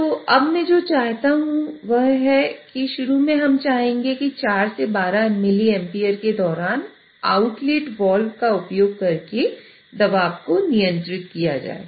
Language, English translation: Hindi, So now what I want is initially we would want that during 4 to 12 Miliamps the pressure should be controlled by using the outlet wall